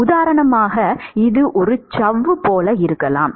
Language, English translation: Tamil, It could be like a membrane for example